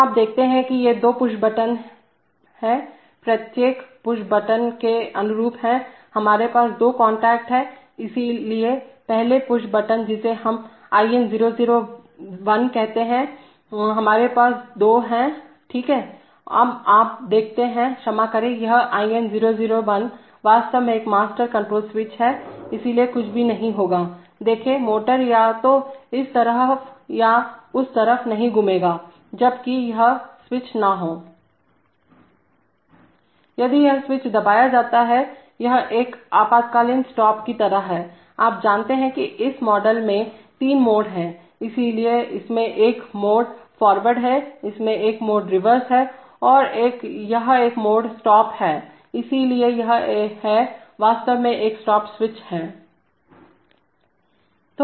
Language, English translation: Hindi, So you see that these two push buttons corresponding to each push button, we have two contacts, so corresponding to the first push button which we called IN001, we have two, corresponding to IN001, yeah okay, now you see, sorry, this IN001 is actually a master control switch, so nothing will happen, the, see, the motor will not rotate either this way or that way, if unless this switch is, If this switch is pressed, so this is like an, this like an emergency stop, you know this model has three modes, so it has a mode move forward, it has a mode move reverse and it has a mode stop, so if this is actually a stop switch